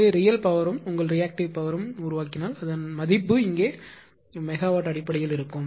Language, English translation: Tamil, So, if generates power real power as well as your reactive power is also require basically its rating is in terms of mega mem here